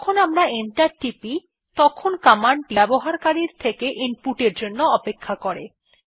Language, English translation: Bengali, Now when we press enter the command waits for input from the user